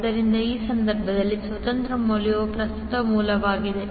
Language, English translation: Kannada, So, independent source in this case is the current source